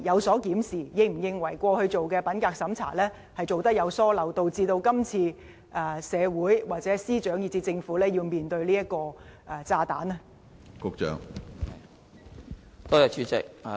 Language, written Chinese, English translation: Cantonese, 政府是否認為過去進行的品格審查有疏漏，導致今次社會、司長以至政府要面對這個炸彈？, Does the Government consider that there were omissions in the integrity checks conducted in the past thus resulting in the community the Secretary for Justice and the Government having to face this bomb this time?